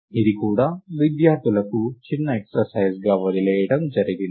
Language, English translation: Telugu, This is also left as a small exercise to the student